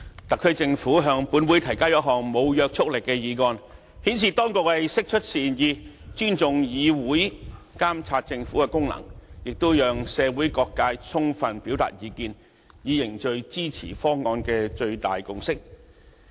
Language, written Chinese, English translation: Cantonese, 特區政府向立法會提交一項無約束力議案，顯示當局釋出善意，尊重議會監察政府的功能，亦讓社會各界充分表達意見，以凝聚支持方案的最大共識。, The Government of the Special Administrative Region SAR has now proposed a non - legally binding motion to the Legislative Council as a gesture of goodwill showing respect for the function of this Council to monitor the Government and allowing various sectors of the community to fully air their views with a view to agglomerating the highest degree of consensus in supporting the arrangement